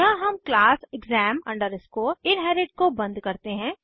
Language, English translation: Hindi, Here we close the class exam inherit